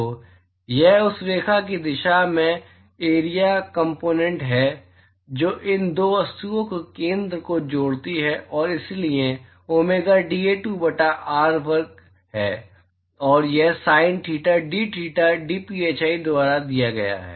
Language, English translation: Hindi, So, this is the area component in the direction of the line that joint the center of these 2 objects and so domega is dA2 by r square and that is given by sin theta dtheta dphi